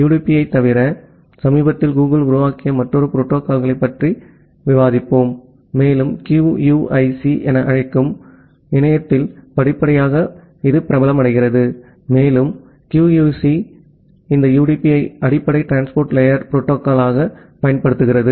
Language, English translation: Tamil, Apart from UDP we will discuss another protocol which is recently developed by Google and gradually getting popularity over the internet which we call as the QUIC and that QUIC it uses this UDP as the underlying transport layer protocol